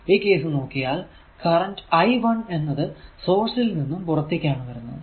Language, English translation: Malayalam, So, in this case if you see that this I 1 current is coming out from this source